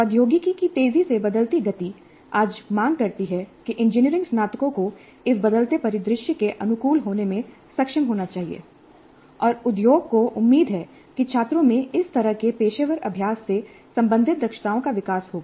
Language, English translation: Hindi, The fast changing pace of technology today demands that the engineering graduates must be capable of adapting to this changing scenario and industry expects these kind of professional practice related competencies to be developed in the students